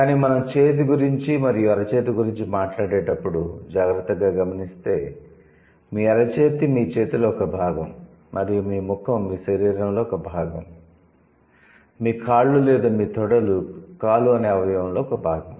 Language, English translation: Telugu, But when we talk about hand and then the palm, so your palm is a part of your hand, right, and your face is a part of your body, your legs or your thighs are a part of the leg or the limb, right